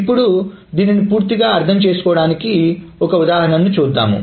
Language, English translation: Telugu, Now let us just see an example to understand this completely